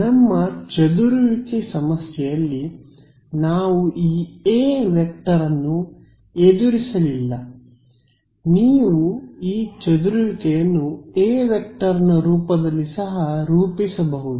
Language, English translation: Kannada, In our scattering problem so, far we have not encountered this A vector right you can also formulate this scattering problem in terms of the A vector ok